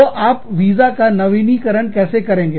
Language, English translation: Hindi, So, and, how do you renew the visa